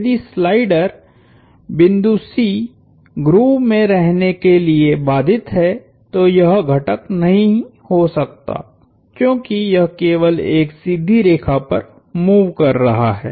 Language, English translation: Hindi, If the slider point C is constrained to remain in the grove it cannot have, because it is only moving on a straight line